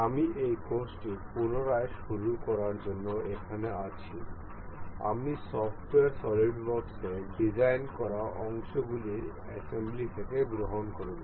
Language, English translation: Bengali, I am here to resume this course, I will take on from the assembly of the parts we have designed in the software solidworks